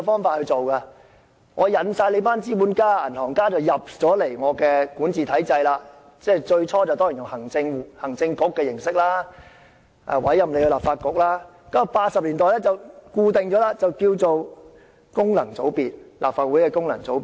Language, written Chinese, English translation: Cantonese, 當時，殖民地政府吸引了一群資本家、銀行家加入管治體制，最初以行政局的組成形式委任立法局，然後在1980年代後，這部分便成了立法會功能界別。, At the time the colonial government attracted a group of capitalists and bankers to join the governance system . Initially the Legislative Council was appointed as per the composition of the Executive Council which subsequently became functional constituencies of the Legislative Council after the 1980s